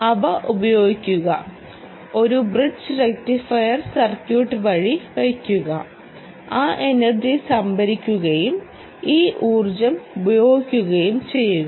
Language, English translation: Malayalam, use them, put them through a bridge rectifier circuit, ah, and essentially ah, store that energy and use this energy